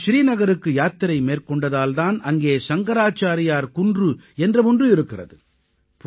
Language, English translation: Tamil, He also traveled to Srinagar and that is the reason, a 'Shankracharya Hill' exists there